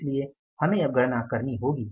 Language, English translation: Hindi, So, I have calculated what